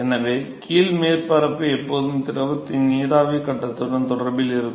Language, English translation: Tamil, So the bottom surface will always be in contact with the vapor phase of the fluid